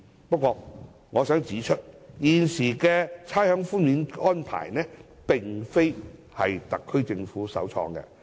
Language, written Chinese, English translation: Cantonese, 不過，我想指出，現行的差餉寬免安排並非特區政府首創。, However I would like to say that the existing rates concession arrangement is not pioneered by the SAR Government